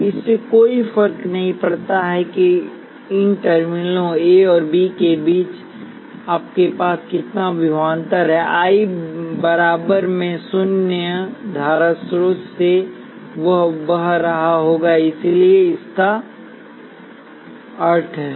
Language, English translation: Hindi, It does not matter what voltage you have between these terminals A and B a current I equals I naught will be flowing through the current source so this is the meaning of it